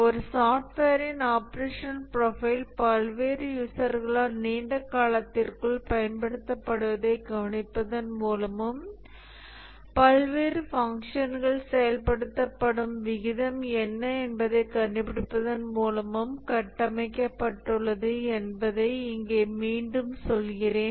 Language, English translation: Tamil, Let me just repeat here that the operational profile of a software is constructed by observing the way the software is used by various users over a long enough period of time and then finding what is the rate at which the different functions get executed